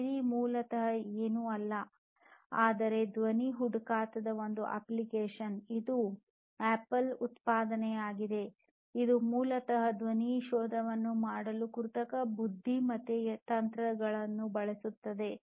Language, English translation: Kannada, Siri basically is nothing, but an application of voice search, it is an Apple product which basically uses artificial intelligence techniques in order to have and in order to perform voice search